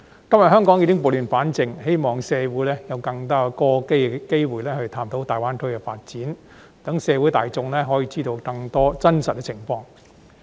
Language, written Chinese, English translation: Cantonese, 今天香港已經撥亂反正，希望社會有更多機會探討大灣區的發展，讓社會大眾可以知道更多真實情況。, Today Hong Kong has restored order from chaos . I hope there will be more chances for our society to probe into the development of GBA so as to let the community knows more about the real picture